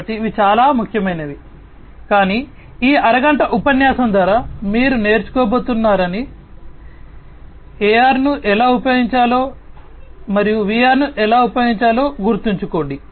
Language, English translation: Telugu, So, these are very important, but remember one thing that through this half an hour lecture, you are not going to learn about, how to use the AR and how to use VR